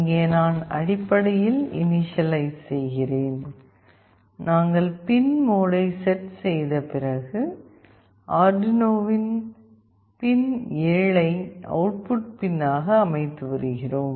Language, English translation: Tamil, Here I am basically doing the initialization, we are setting pin mode, pin 7 of Arduino as output